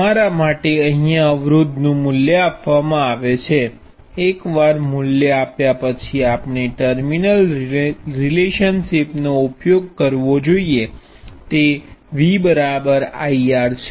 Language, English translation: Gujarati, For us, the value of resistance is what is given; once the value is given all we need to use is the terminal relationship V equals I times R